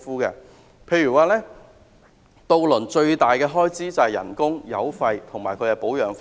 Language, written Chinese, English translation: Cantonese, 例如，渡輪最大的開支是工資、油費及保養費。, For instance the largest expenses for ferry operation are salaries fuel and maintenance costs